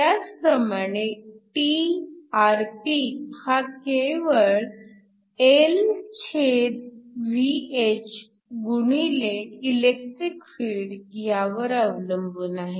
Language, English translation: Marathi, Similarly, Trp is just Lυh times the electric field